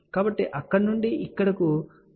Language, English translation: Telugu, So, from here to here no power goes here